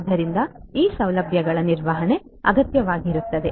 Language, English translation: Kannada, So, management of these facilities is what is required